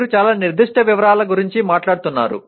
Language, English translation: Telugu, You are talking of very specific details like that